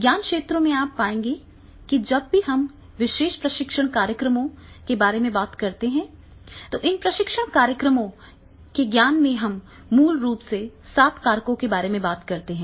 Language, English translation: Hindi, In knowledge areas you will find that whenever we talk about these particular training programs, these training programs in the knowledge that is basically we talk about the seven factors here